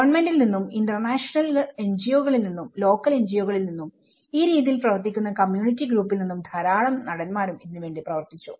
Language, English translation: Malayalam, There is a lot of actors working from the government, international NGOs, local NGOs and the community groups which work on these aspects